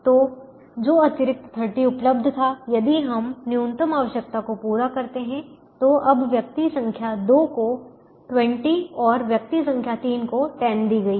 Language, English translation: Hindi, if we meet the minimum requirement, now twenty is given to person number two and ten is given to person number three